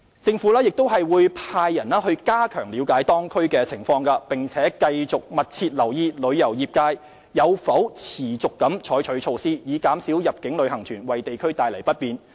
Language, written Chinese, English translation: Cantonese, 政府亦會派員加強了解當區情況，並繼續密切留意旅遊業界有否持續採取措施，以減少入境旅行團為地區帶來不便。, The Government will continue to closely monitor whether the tourism trade has continuously adopted measures to minimize the inconvenience caused by inbound tour groups to the community